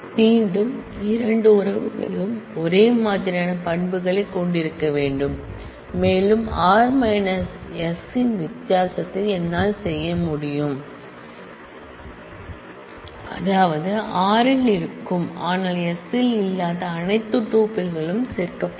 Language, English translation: Tamil, Again, the 2 relations must have the same set of attributes and I can do a difference of r minus s which mean that all tuples which exist in r, but do not exist in s will be included